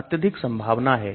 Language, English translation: Hindi, Very high probability